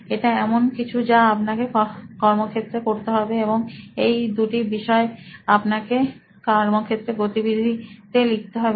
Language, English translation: Bengali, So that is something that you will have to do on the field, those are two things that you will have to note down in your field activity